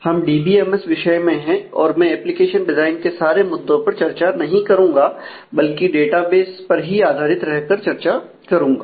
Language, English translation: Hindi, Since we are in the DBMS course, I will not focus on the whole aspects of application design, but we will focus specifically on the database aspect